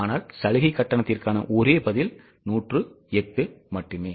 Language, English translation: Tamil, Concessional fee, the only one answer is there, that is 108